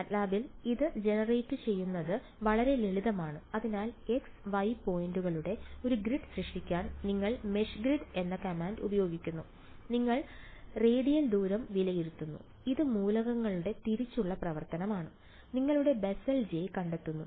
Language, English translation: Malayalam, In MATLAB its very very simple to generate this so, you use your command called meshgrid to generate a grid of X, Y points and you evaluate the radial distance this is element wise operation and just find out your Bessel J